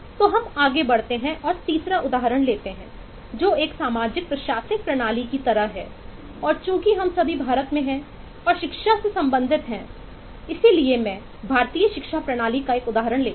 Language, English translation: Hindi, take a third example, which is kind of a social, administrative eh system and eh, since we all are in in india and related to education, and so I take an example of education system in india